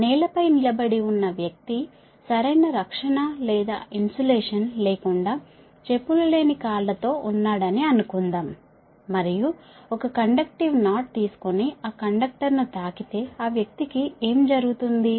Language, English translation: Telugu, suppose a man standing on the ground with bare feet, say with no, no proper protection or insulation, and taking a conductive knot and touching that conductor, what will, what will happen to that parcel